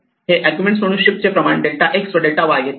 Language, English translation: Marathi, So, it takes the amount of shift as the argument, delta x and delta y